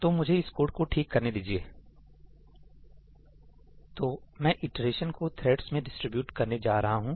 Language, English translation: Hindi, I am going to distribute the iteration amongst the threads